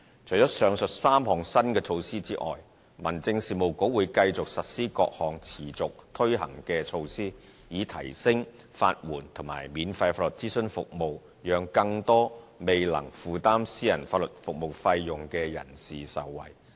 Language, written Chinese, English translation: Cantonese, 除了上述3項新措施外，民政事務局會繼續實施各項持續推行的措施，以提升法援及免費法律諮詢服務，讓更多未能負擔私人法律服務費用的人士受惠。, Apart from the above mentioned three new initiatives the Home Affairs Bureau will continue to implement various ongoing initiatives in order to enhance legal aid and free legal advice services so as to benefit more people who are unable to afford private legal services